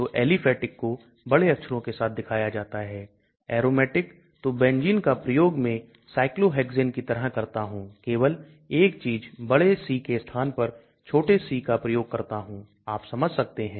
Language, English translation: Hindi, So aliphatics are shown with higher upper case, aromatic so Benzene I use just like Cyclohexane, but only thing is instead of a capital C, I use small c